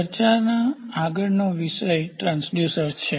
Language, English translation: Gujarati, So, the next topic of discussion is going to be Transducers